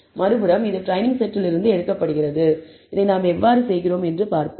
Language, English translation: Tamil, But on the other hand, it is drawn from the training set and we will see how we do this